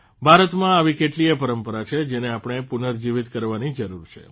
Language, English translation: Gujarati, There are many other such practices in India, which need to be revived